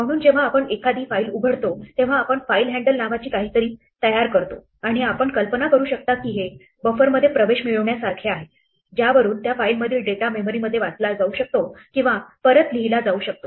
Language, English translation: Marathi, So, when we open a file we create something called a file handle and you can imagine that this is like getting access to a buffer from which data from that file can read into memory or written back